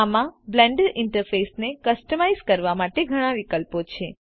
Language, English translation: Gujarati, This contains several options for customizing the Blender interface